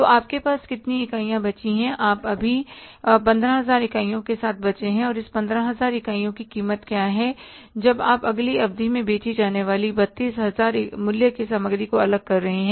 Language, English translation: Hindi, And what is the cost of this 15,000 units when you are setting aside 32,000 worth of the material to be sold in the next period